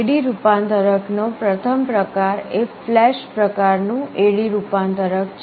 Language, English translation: Gujarati, The first type of AD converter is the flash type A/D converter